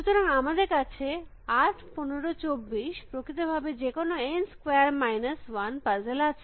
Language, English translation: Bengali, So, we are 8, 15, 24, in fact, any n square minus 1 puzzle